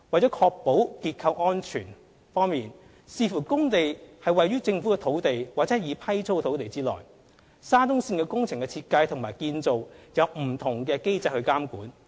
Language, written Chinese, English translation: Cantonese, 在確保結構安全方面，視乎工地位於政府土地或已批租土地，沙中線工程的設計和建造按不同的機制監管。, In ensuring structural safety the design and construction of the SCL project is governed by different mechanisms depending on whether the site is within unleased land or leased land